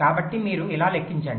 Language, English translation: Telugu, ok, so you calculate like this